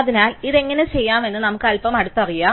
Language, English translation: Malayalam, So, let us look a little closer at how we do this